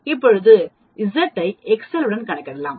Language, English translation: Tamil, Now Z can also be calculated with Excel